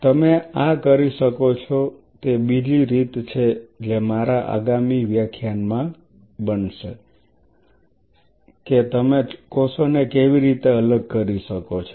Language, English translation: Gujarati, There is another way you can do this which are becoming in my next class that how you can separate cells